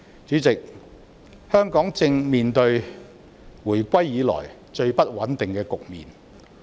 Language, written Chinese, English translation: Cantonese, 主席，香港正面對回歸以來最不穩定的局面。, President Hong Kong is having the most unstable state since its reunification